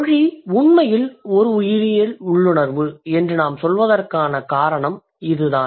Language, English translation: Tamil, So, that's the reason why we would say that language is actually a biological instinct